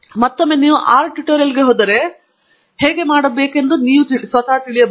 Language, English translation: Kannada, Again, if you go to the R tutorial, you can realize how to do that